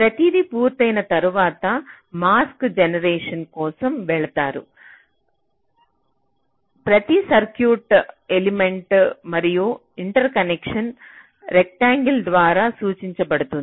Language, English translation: Telugu, ok, so, after everything is done, you proceed for mask generation, where so every circuit, element and interconnection are represented by rectangles